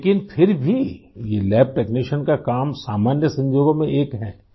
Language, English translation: Urdu, But still, this lab technician's job is one of the common professions